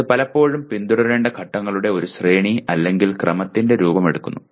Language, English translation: Malayalam, So it often takes the form of a series or sequence of steps to be followed